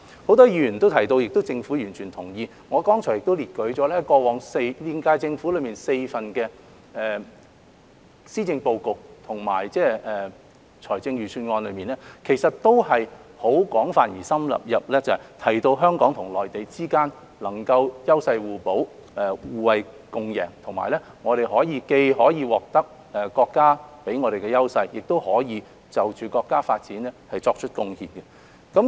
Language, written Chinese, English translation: Cantonese, 很多議員提到而政府亦完全同意，我剛才也列舉了現屆政府4份施政報告和財政預算案內均有廣泛而深入地提到，香港與內地之間能夠優勢互補、互惠共贏，我們既可以獲得國家給予我們的優勢，亦可以就國家的發展作出貢獻。, As many Members have said which the current - term Government totally agrees with and has discussed extensively and thoroughly in the four policy addresses and budgets cited by me earlier on Hong Kong and the Mainland can complement each others strengths to achieve mutual benefits . We may not only benefit from the strengths given by the country but can also contribute to its development